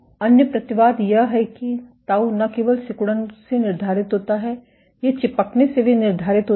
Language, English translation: Hindi, The other caveat is that tau is not only dictated by contractility, it is also dictated by adhesivity